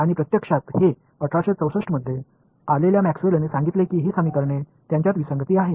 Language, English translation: Marathi, And it is actually Maxwell who came in 1864 who said that these equations; there is an inconsistency in them